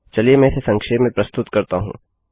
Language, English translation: Hindi, Let me summarise